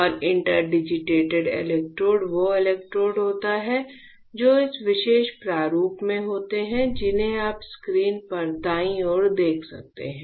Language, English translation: Hindi, And interdigited electrodes is electrodes which are in this particular format which you can see on the screen right